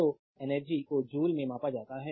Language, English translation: Hindi, So, energy is measured in joules